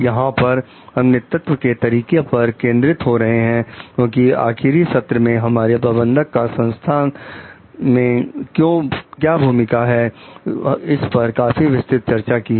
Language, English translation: Hindi, Here we are focusing on the leadership styles, because in last one of the sessions, we had an extensive discussion about the role of managers in the organization